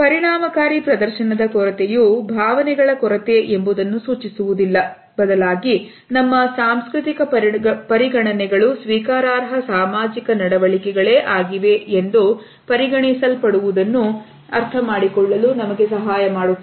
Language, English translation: Kannada, A lack of effective display does not indicate a lack of emotions however, cultural considerations also help us to understand what is considered to be an acceptable social behavior